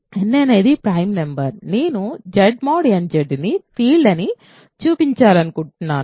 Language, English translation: Telugu, So, n is a prime number I want to show that Z mod nZ bar Z mod nZ is a field